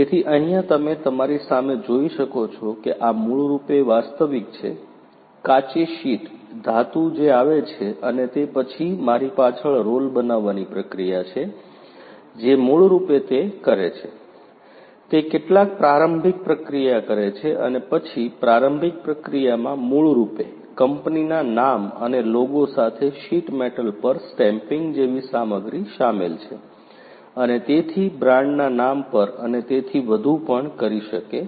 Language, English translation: Gujarati, So, as you can see in front of you this is basically the actual, the raw sheet metal that comes, and then behind me is the roll forming process that basically you know what it does; is it does some preliminary processing and then preliminary processing basically includes stuff such as stamping the sheet metal with the company logo the name of the company and so on the brand name and so on